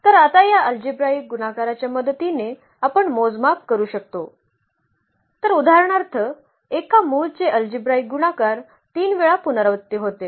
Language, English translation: Marathi, So, that we can now quantify with the help of this algebraic multiplicity; so, algebraic multiplicity if for instance one root is repeated 3 times